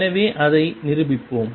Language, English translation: Tamil, So, let us prove that